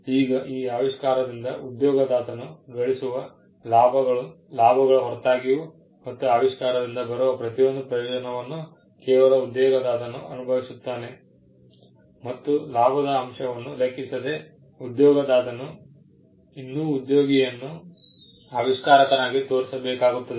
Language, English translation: Kannada, Now, regardless of the gains that an employer will make out of this invention, and the fact that every benefit that flows out of the invention will solely be enjoyed by the employer, the employer will still have to show the employee as the inventor